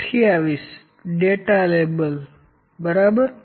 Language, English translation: Gujarati, 28 data label, ok